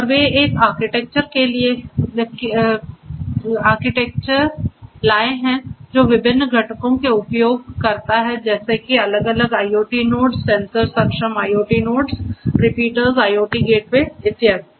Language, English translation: Hindi, And they have come up with an architecture which uses different components such as the different IoT nodes the sensor enabled IoT nodes the repeaters IoT gateways and so on